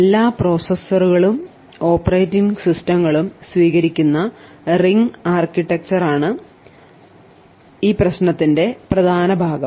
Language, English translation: Malayalam, The heart of the problem is the ring architecture that is adopted by all processors and operating systems